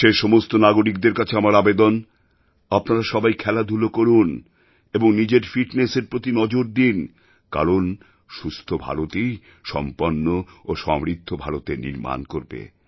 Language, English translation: Bengali, I request every citizen to make it a point to play and take care of their fitness because only a healthy India will build a developed and prosperous India